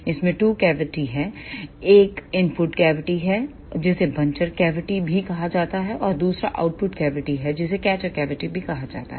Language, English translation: Hindi, In this there are two cavities; one is input cavity which is also called as buncher cavity and another one is output cavity which is also called as catcher cavity